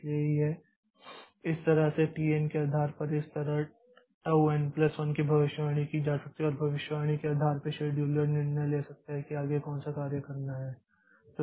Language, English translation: Hindi, So, this way based on those TN values this tau n plus 1 can be predicted and based on that prediction the scheduler can take a decision like which job to be scheduled next